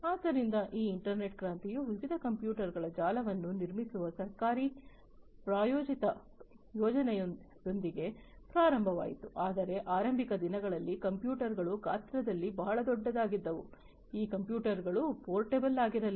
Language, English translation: Kannada, So, this internet revolution started with a government sponsored project to build a network of different computers, but in the early days the computers used to be very big in size, these computers were not portable